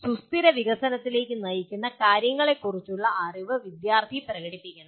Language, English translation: Malayalam, Student should demonstrate the knowledge of what can lead to sustainable development